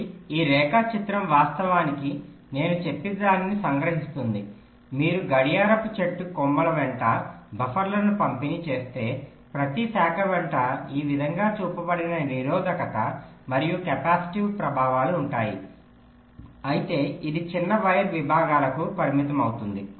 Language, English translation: Telugu, ok, so this diagram actually summarizes whatever i have said diagrammatically: that if you distribute the buffers along the branches of the clock tree, so along each, each branch, there will be a resistive and capacitive effects shown like this, but this will restricted to shorter wire segments, so the rc delays for each of the segments will be much less